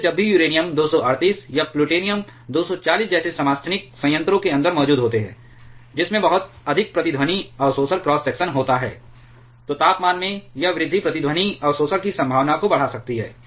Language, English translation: Hindi, Thereby whenever and isotopes like uranium 238 or plutonium 240 are present inside the reactor which has very high resonance absorption cross section, this rise in temperature can enhance the probability of resonance absorption